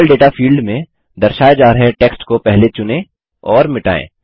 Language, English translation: Hindi, In the Level Data field, first select and delete the text displayed